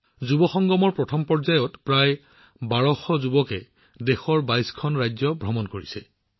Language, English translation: Assamese, In the first round of Yuvasangam, about 1200 youths have toured 22 states of the country